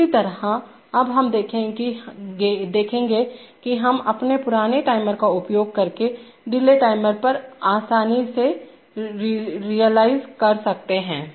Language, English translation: Hindi, Similarly, now we will see that we can easily realize this on delay timer using our old timer